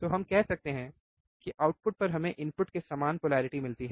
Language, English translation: Hindi, So, we can also say in the output results in the same polarity right